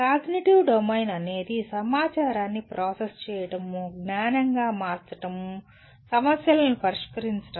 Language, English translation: Telugu, Cognitive domain is concerned with what do you call processing information, converting into knowledge, solving problems